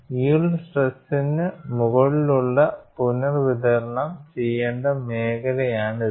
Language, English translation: Malayalam, This is the area above the yield stress that has to be redistributed